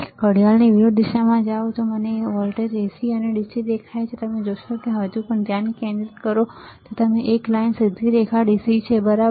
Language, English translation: Gujarati, If I go to anti clockwise, I see voltage AC and DC you see if you still focus further if you can the single line straight line is DC, right